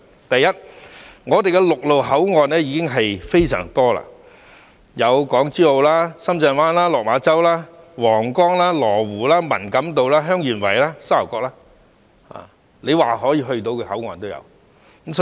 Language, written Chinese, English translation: Cantonese, 第一，我們的陸路口岸已非常多，有港珠澳、深圳灣、落馬洲、皇崗、羅湖、文錦渡、香園圍及沙頭角，說得出的口岸也有。, First we have a lot of land boundary crossings including Hong Kong - Zhuhai - Macao Shenzhen Bay Lok Ma Chau Huanggang Lo Wu Man Kam To Heung Yuen Wai and Sha Tau Kok you name it